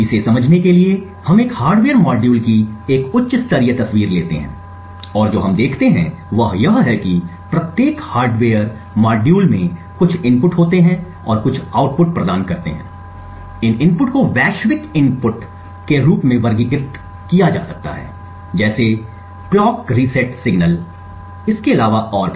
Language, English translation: Hindi, To understand this we take a high level picture of a hardware module and what we see is that every hardware module comprises of some inputs and provide some outputs these inputs can be categorized as global inputs such as the clock resets signal and so on